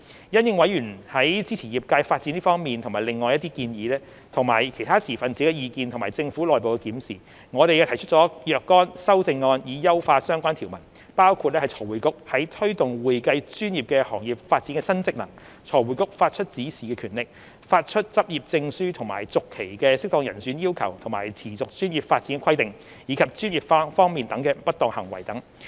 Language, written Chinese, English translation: Cantonese, 因應委員在支持業界發展這方面及另外一些建議，以及其他持份者的意見和政府內部檢視，我們提出了若干修正案以優化相關條文，包括財匯局在推動會計專業的行業發展的新職能、財匯局發出指示的權力、發出執業證書及續期的適當人選要求和持續專業發展規定，以及專業方面的不當行為等。, In response to members suggestions on supporting the development of the profession and some other issues as well as the views of other stakeholders and the Governments internal review we have proposed certain amendments to enhance the relevant provisions covering the new functions of FRC in promoting the development of the accounting profession FRCs power to give directions the fit and proper requirement for the issue and renewal of practising certificates the continuing professional development requirements as well as professional misconduct